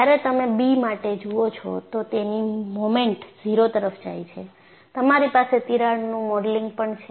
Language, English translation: Gujarati, The moment when you make b tends to 0; you have the modeling of a crack